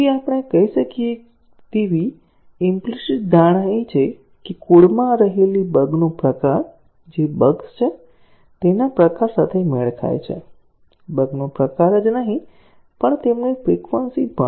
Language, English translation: Gujarati, So, the implicit assumption we can say is that, the type of the bugs that remain in the code matches with the type of the bugs that are seeded; not only the type of the bugs, but also their frequency